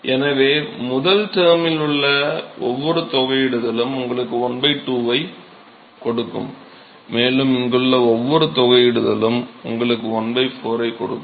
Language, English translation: Tamil, So, every integral in the first term will give you a 1 by 2 and every integral here will give you a 1 by 4